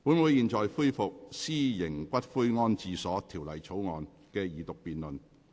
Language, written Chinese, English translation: Cantonese, 本會現在恢復《私營骨灰安置所條例草案》的二讀辯論。, We now resume the Second Reading debate on the Private Columbaria Bill the Bill